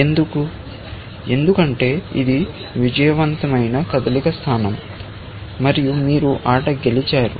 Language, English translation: Telugu, Why because this is a winning move position, and you have won the game